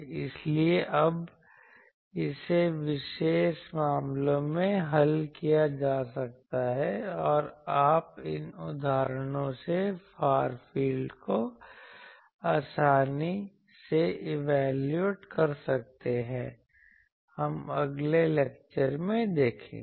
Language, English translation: Hindi, So, this now can be solved in particular cases and you can evaluate the far fields easily from these that example we will see in the next lecture